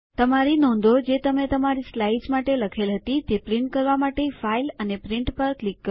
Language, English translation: Gujarati, To print your notes, which you typed for your slides, click on File and Print